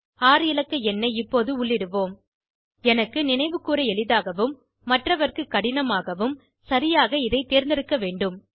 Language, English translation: Tamil, I am entering a 6 digit number now, I have to choose it properly, it should be easy for me to remember and not so easy for others